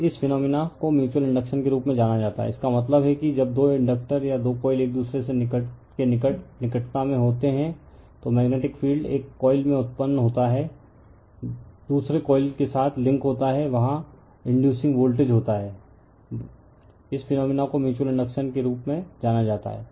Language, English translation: Hindi, And this phenomenon is known as mutual inductance, that means, when two inductors or two coils are there in a close proximity to each other, the magnetic flux caused by current in one coil links with the other coil, thereby inducing voltage in the latter; this phenomenon is known as mutual inductance right